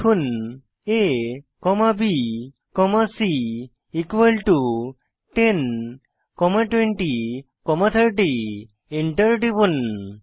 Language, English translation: Bengali, Type a comma b comma c equal to 10 comma 20 comma 30 and press Enter